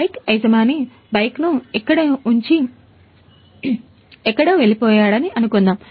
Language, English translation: Telugu, Suppose the bike owner has kept the bike here and gone somewhere